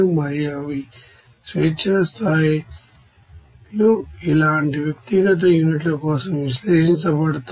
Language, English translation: Telugu, And they are respective you know degrees of freedoms are analyzed for individual units like this